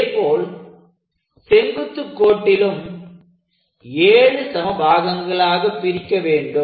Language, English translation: Tamil, Similarly this we have to divide into 7 equal parts